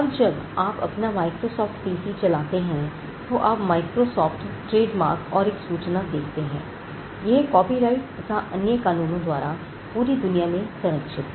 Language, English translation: Hindi, Now, when you switch over on your Microsoft PC, you will find the Microsoft trademark and the notice is coming that it is protected by copyright and other laws all over the world